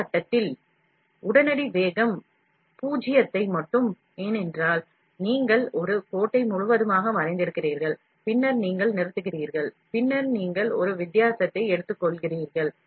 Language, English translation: Tamil, At some point the instant velocity will reach zero, because you have drawn a line completely, and then you stop, then you take a divergent